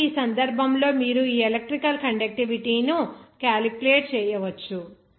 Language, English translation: Telugu, So, in this case, you can calculate this electrical conductivity